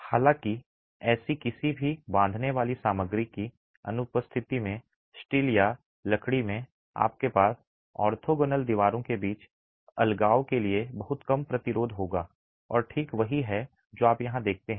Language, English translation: Hindi, However, in the absence of any such tying material in steel or in timber, you would have a very low resistance to separation between orthogonal walls and that is exactly what you see here